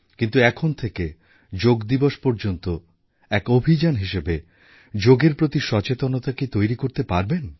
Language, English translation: Bengali, Can we, beginning now, till the Yoga Day, devise a campaign to spread awareness on Yoga